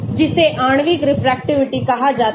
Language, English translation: Hindi, that is called the molecular refractivity